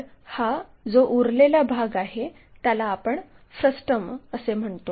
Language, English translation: Marathi, So, there are leftover part, what we call frustum